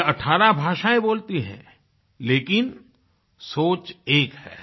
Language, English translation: Hindi, She speaks 18 languages, but thinks as one